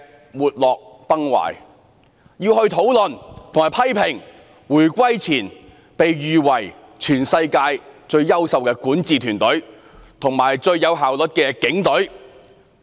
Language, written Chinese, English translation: Cantonese, 我們在立法會會議廳要討論和批評在回歸前被譽為全世界最優秀的管治團隊及最具效率的警隊。, Today we meet in the Legislative Council Chamber to condemn the governing team and the Police Force which were reputed as the worlds best and the most efficient respectively before the handover